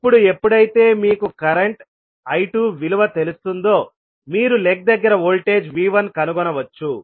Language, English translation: Telugu, Now, when you know the value of current I2 you can find out the voltage V1 which is across this particular lag